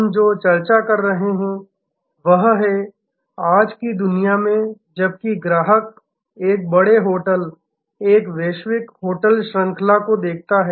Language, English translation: Hindi, What we have been discussing is that, in today's world while the customer sees a large hotel, a global hotel chain